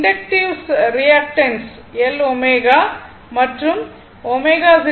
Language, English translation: Tamil, So, inductive reactant L omega and omega is equal to 2 pi f